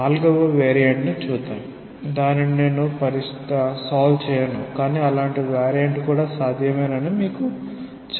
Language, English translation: Telugu, Let us consider maybe a fourth variant which I will not solve, but just tell you that such a variant is also possible